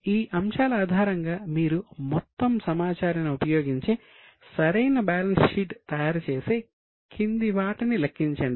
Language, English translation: Telugu, Based on these items you have to use all the information, prepare a proper balance sheet and calculate the following